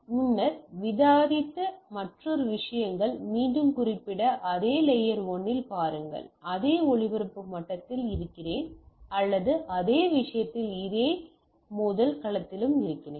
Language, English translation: Tamil, So, another things what we previously also discussed we just to mention again that, see at the layer 1 I am in the same broadcast level or at the same as a thing the same collision domain also